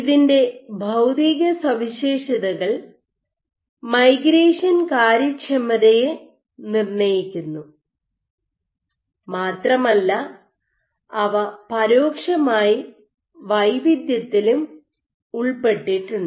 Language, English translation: Malayalam, You have its physical properties, which dictate the migration efficiency and also indirectly if they are implicated in heterogeneity